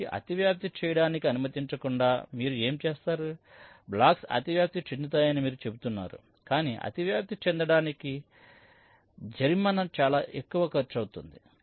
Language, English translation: Telugu, so instead of disallow overlapping what you would, you are saying the blocks can overlap, but the penalty for overlapping will be of very high cost